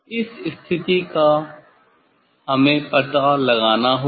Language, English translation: Hindi, this position we have to find out first